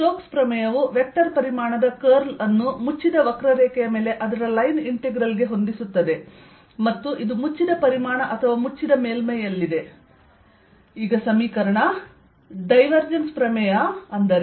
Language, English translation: Kannada, stokes theorem relates the curl of a vector quantity or its integral over an area to its line integral over a closed curve, and this over a closed volume or close surface